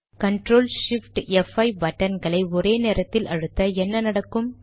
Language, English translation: Tamil, So if I click ctrl, shift, f5 keys simultaneously, what will happen